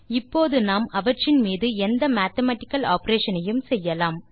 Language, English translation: Tamil, We can perform mathematical operations on them now